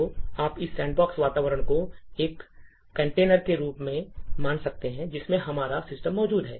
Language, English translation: Hindi, So, you could consider this sandbox environment as a container in which our system is actually present